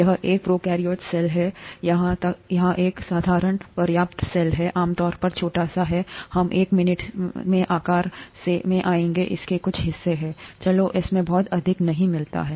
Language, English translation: Hindi, This is a prokaryotic cell, a simple enough cell here, typically small, we’ll come to sizes in a minute, it has some parts, let’s not get too much into it